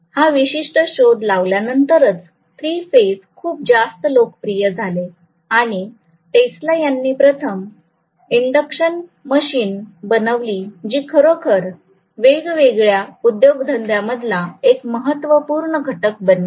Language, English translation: Marathi, So 3 phase became extremely popular only after this particular discovery was made and Tesla made the first induction machine which actually became the work horse of for all the industries